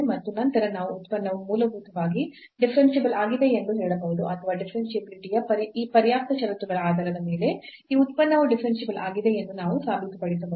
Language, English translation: Kannada, And, then we can claim that the function is basically differentiable or we can prove that this function is differentiable based on these sufficient conditions of differentiability